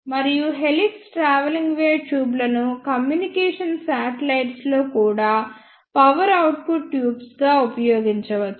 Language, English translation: Telugu, And the helix travelling wave tubes can be used in communication satellites also as an power output tube